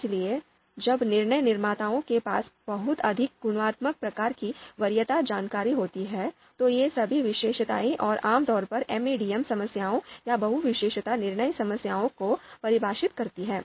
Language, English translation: Hindi, Discrete preference information: So when decision makers have very discrete qualitative kind of preference information, then all these characteristics typically define MADM MADM problems, multi attribute decision making problems